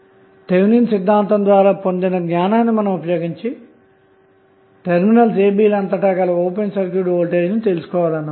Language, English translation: Telugu, We have to utilize our the knowledge of Thevenin's theorem and we need to find out what would be the open circuit voltage across terminal a and b